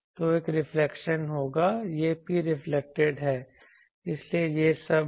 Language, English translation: Hindi, So, there will be a reflection this is P reflected so that is all